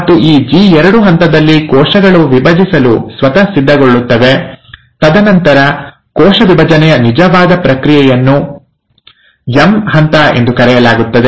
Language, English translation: Kannada, And in this G2 phase, the cells prepare itself to divide, and then the actual process of cell division, which is called as the M phase